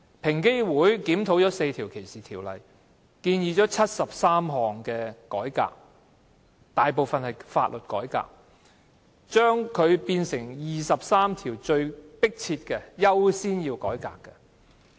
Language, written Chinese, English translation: Cantonese, 平機會檢討了4項歧視條例，提出了73項改革建議，當中大部分是法律改革，並識別出23項最為迫切及最需要優先進行的改革的建議。, EOC has reviewed the four ordinances on discrimination and made 73 recommendations most of which concern law reforms and EOC has highlighted 23 reform recommendations which it considers pressing and necessary and should be accorded priority